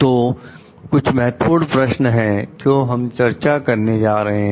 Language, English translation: Hindi, So, these are some of the Key Questions that we are going to discuss now